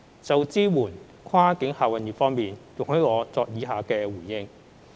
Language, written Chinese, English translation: Cantonese, 就支援跨境客運業方面，容許我作出以下回應。, In terms of supporting the cross - boundary passenger transport trade allow me give the following reply